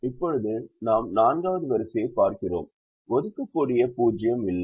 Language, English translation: Tamil, now second column does not have an assignable zero